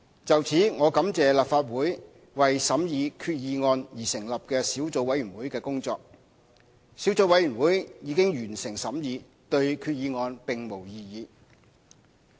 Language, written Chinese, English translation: Cantonese, 就此，我感謝立法會為審議決議案而成立的小組委員會的工作，小組委員會已完成審議，對決議案並無異議。, In this regard I would like to thank the Subcommittee formed by the Legislative Council for scrutinizing the motion . The Subcommittee completed its work and had no objection to the motion